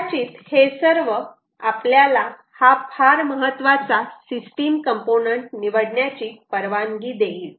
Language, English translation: Marathi, all of this will perhaps allow us to choose this very important ah system, ah system component